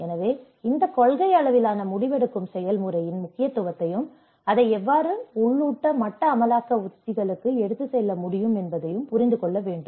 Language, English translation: Tamil, So, one has to understand that importance of this policy level decision making process and how it can be taken to the local level implementation strategies